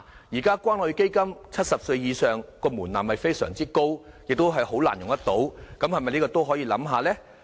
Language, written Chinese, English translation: Cantonese, 現時關愛基金的70歲以上的門檻非常高，亦難以用到，這是否可以考慮一下呢？, The threshold of the Community Care Fund which requires applicants to be of 70 years of age is too high and difficult to meet